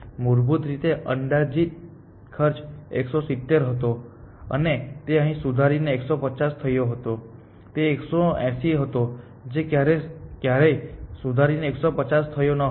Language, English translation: Gujarati, Originally the estimated cost was 170 and it got revised to 150 here, it was 180 it never got revised to 150